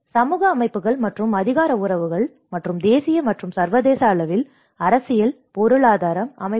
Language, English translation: Tamil, The social systems and the power relationships and the political and economic systems at the national and international scale